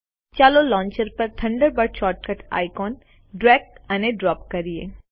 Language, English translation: Gujarati, Lets drag and drop the Thunderbird short cut icon on to the Launcher